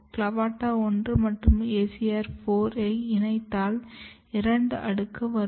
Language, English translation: Tamil, When you combined clavata1 and acr4, there is two layer